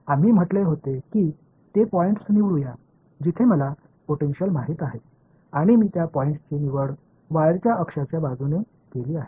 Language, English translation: Marathi, We had said let us choose those points, where I know the potential and I chose those points to be along the axis of the wire right